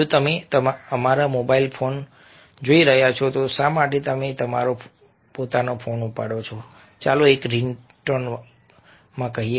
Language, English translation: Gujarati, if you are looking at a, our mobile phones, why is that you pick up your own, let's say a, ringtones